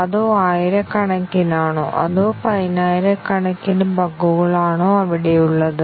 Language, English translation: Malayalam, Is it thousands or is it tens of thousands of bugs there